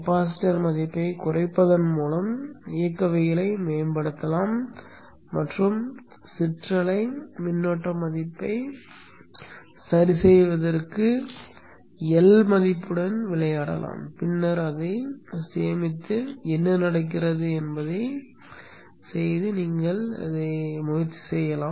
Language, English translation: Tamil, You can improve the dynamics by reducing the capacitance value and also play around with the L value to adjust the ripple current value and then save it then you can try what happens